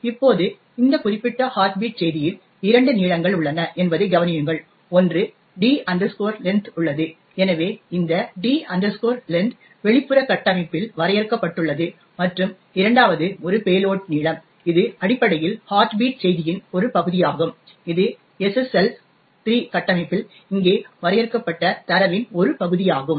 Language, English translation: Tamil, Now, notice that we have two lengths that are involved in this particular heartbeat message, one is the D length which is present, so this D length is defined in the outer structure and the second one is the load length which is essentially part of the heartbeat message which is part of the data defined over here in the SSL 3 structure